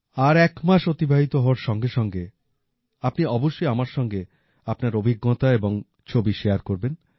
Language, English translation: Bengali, And when one month is over, please share your experiences and your photos with me